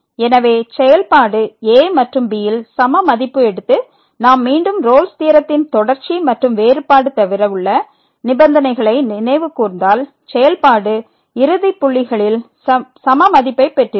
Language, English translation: Tamil, So, the function is taking same value at and and if we recall again the condition was for Rolle’s theorem other than the continuity and differentiability that the function should be having the same value at the two end points